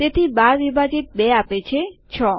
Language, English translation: Gujarati, So, 12 divided by 2 should give 6